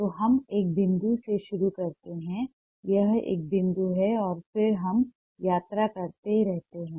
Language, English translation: Hindi, so we start from a point, it's a dot and then we keep on travelling